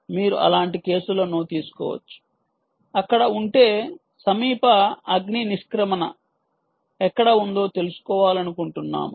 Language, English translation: Telugu, you can take cases of such that, if there is, let us say, you want to find out where is the nearest fire exit